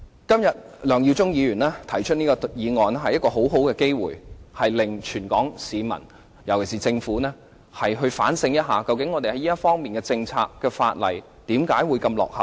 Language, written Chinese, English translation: Cantonese, 今天梁耀忠議員的議案提供了一個很好的機會，令全港市民、尤其是政府反省一下，究竟我們在這方面的政策和法例何以如此落後。, Mr LEUNG Yiu - chungs motion provides a very good opportunity for all in Hong Kong especially the Government to reconsider why our policies and legislation in this respect are so backward